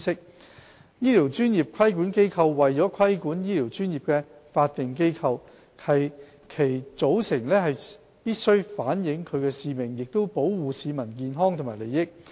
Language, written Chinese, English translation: Cantonese, 二醫療專業規管機構為規管醫療專業的法定機構，其組成須反映其使命，即保護市民健康及利益。, 2 Health care professional regulatory bodies are statutory bodies responsible for regulating health care professions . Their composition should reflect their missions of safeguarding public health and interests